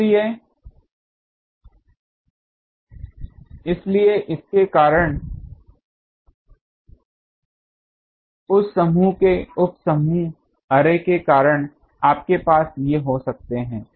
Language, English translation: Hindi, So, there will be a due to the, that array that sub group array you can have these